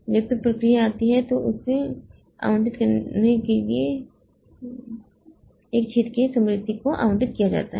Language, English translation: Hindi, When a process arrives it is allocated memory from a hole large enough to accommodate it